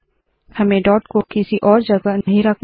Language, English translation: Hindi, We do not want to place the dot at any other place